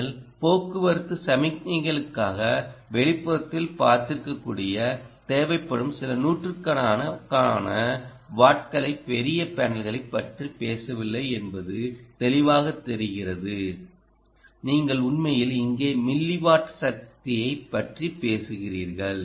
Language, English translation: Tamil, clearly, you are not talking of large panels which you might have seen in outdoor for traffic signals and all that where you are talking of a few hundreds of watts that would be required